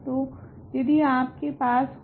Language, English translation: Hindi, So, if you have